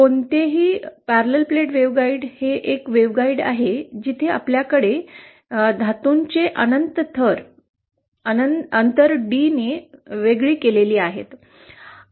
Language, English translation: Marathi, No parallel plate waveguide is a waveguide where we have 2 layers of metals infinite layers of metals separated by a distance, d